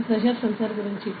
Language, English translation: Telugu, So, this is about the pressure sensor